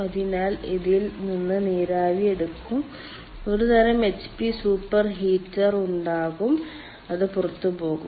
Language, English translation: Malayalam, so steam will be taken from this and there will be some sort of a hp super heater and it will go out